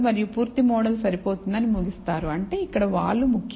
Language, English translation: Telugu, And conclude that a full model is adequate which means the slope is important here